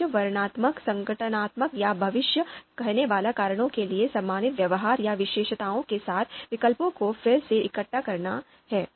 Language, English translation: Hindi, The goal is to regroup the alternatives with similar behaviors or characteristics for descriptive organizational or predictive reasons